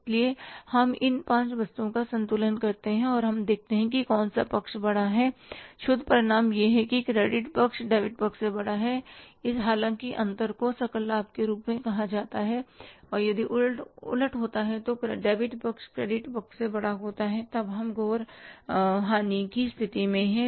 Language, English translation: Hindi, Net result is that if the credit side is bigger than the debit side though, difference is called as gross profit and if the reverse happens that debit side is bigger than the credit side, then we are in the state of gross loss